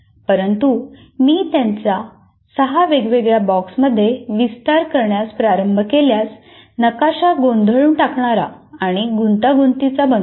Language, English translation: Marathi, But if I start expanding like six different boxes, the map becomes a little more messy and complex